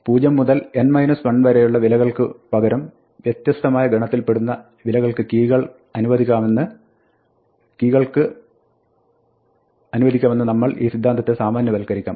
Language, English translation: Malayalam, We can generalize this concept by allowing keys from a different set of things other than just a range of values from 0 to n minus 1